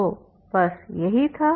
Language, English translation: Hindi, So that is finish